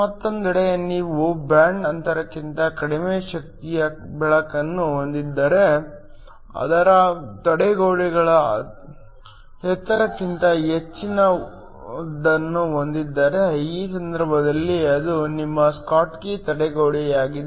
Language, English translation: Kannada, On the other hand, if you have light of energy less than the band gap, but more than the barriers height, in this case it is your schottky barrier